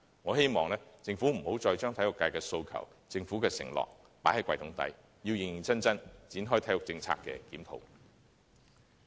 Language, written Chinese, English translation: Cantonese, 我希望政府不要再將體育界的訴求及政府的承諾放入"櫃桶底"，要認認真真，展開對體育政策的檢討。, I hope the Government can launch a review of the sports policy seriously instead of putting the demands of the sports community and the Governments promises at the bottom of the drawer